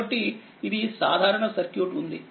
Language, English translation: Telugu, So, is a simple circuit